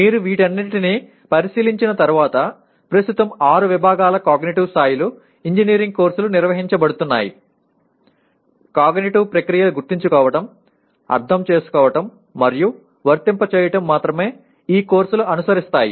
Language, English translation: Telugu, And once you look at all these, all the six categories of cognitive levels the way presently the engineering courses are organized the cognitive processes Remember, Understand and Apply are the only one that are addressed through courses